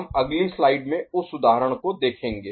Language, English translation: Hindi, We shall see that example in the next slide ok